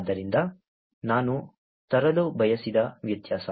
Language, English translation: Kannada, So, that is a difference that I wanted to bring